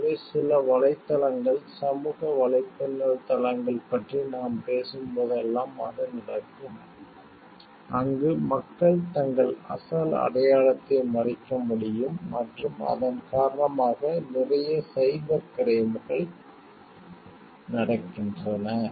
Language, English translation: Tamil, So, that happens whenever we are talking of maybe certain websites social networking sites, where people are able to hide their original like identity and lots of cybercrimes happen due to that